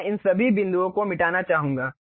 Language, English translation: Hindi, I would like to erase all these points